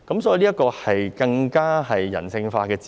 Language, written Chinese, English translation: Cantonese, 所以，這是更人性化的用詞。, Hence this term is more humanized